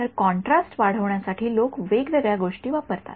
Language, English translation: Marathi, So, people use different things for enhancing the contrast